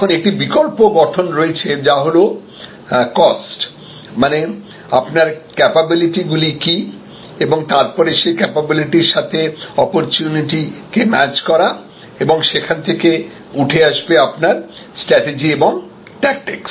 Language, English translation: Bengali, Now, there is an alternative formulation which is COST that is what are your capabilities and match those capabilities to your opportunities and from there you devolve your strategy and your tactics, evolve your strategy and tactics